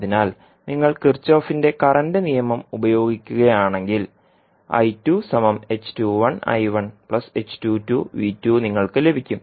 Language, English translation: Malayalam, So, if you use Kirchhoff’s current law